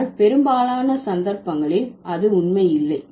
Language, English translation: Tamil, But that doesn't hold true in most of the cases